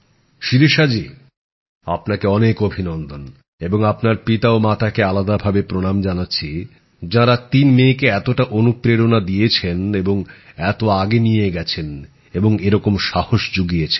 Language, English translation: Bengali, Great… Shirisha ji I congratulate you a lot and convey my special pranam to your father mother who motivated their three daughters so much and promoted them greatly and thus encouraged them